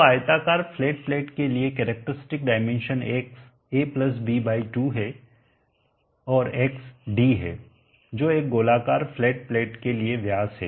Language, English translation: Hindi, So X the characteristic dimension for the rectangular flat plate is a+b/2 and X is d that is the diameter for a circular flat plate